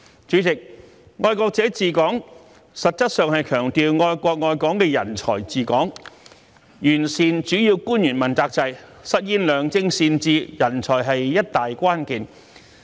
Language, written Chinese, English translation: Cantonese, 主席，"愛國者治港"實質上強調愛國愛港的人才治港，完善主要官員問責制，實現良政善治，人才是一大關鍵。, President the principle of patriots administering Hong Kong essentially means the administration of Hong Kong by talents who love the country and Hong Kong . In order to perfect the accountability system for principal officials and realize good policies and sound governance talents are the key